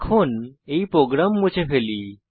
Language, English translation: Bengali, Lets now clear this program